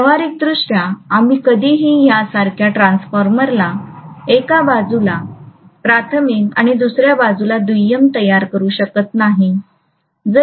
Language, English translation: Marathi, Practically, we would never ever construct the transformer like this the primary on one side and secondary on the other side